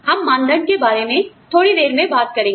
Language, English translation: Hindi, We will talk about, benchmarking, a little later